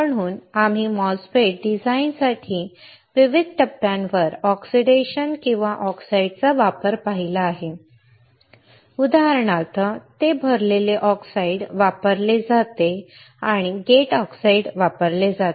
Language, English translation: Marathi, So, and we have seen the application of oxidation or application of oxides at various stages for the MOSFET design for example, it is used the filled oxide it is used a gate oxide